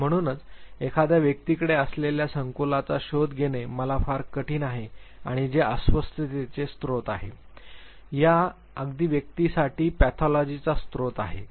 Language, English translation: Marathi, And therefore it is very difficult for me to find out the complexes that the individual has, and which is a source of discomfort, a source of pathology for this very individual